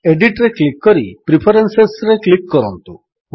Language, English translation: Odia, Click on Edit and then on Preferences